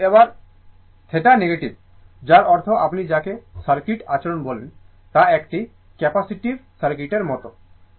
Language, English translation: Bengali, So, this time theta is negative that means what you call that circuit behavior is like a capacitive circuit